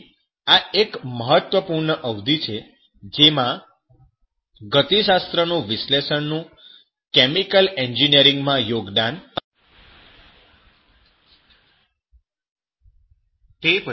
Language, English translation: Gujarati, So this is one of the important periods where this chemical engineering contribution to that thermodynamic analysis was significant even remarkable